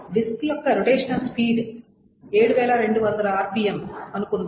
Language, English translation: Telugu, So suppose the rotational speed of a disk is, say, your 7 to 200 RPM